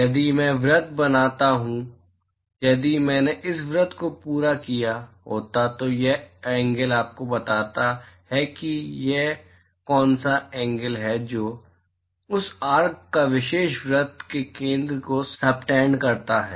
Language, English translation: Hindi, If I draw circle if I had complete this circle this angle tells you what is the angle that that this arc subtends to the center of that particular circle